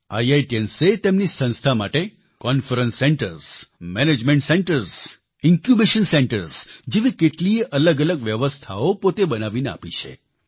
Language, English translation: Gujarati, IITians have provided their institutions many facilities like Conference Centres, Management Centres& Incubation Centres set up by their efforts